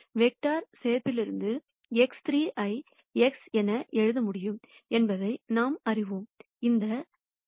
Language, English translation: Tamil, From vector addition we know that I can write X 3 as X prime, this plus this X prime plus Y prime